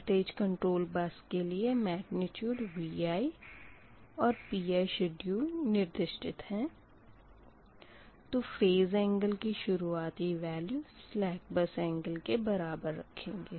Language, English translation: Hindi, so for voltage controlled buses, where magnitude vi and pi schedule are specified, phase angles are set equal to the slack bus angle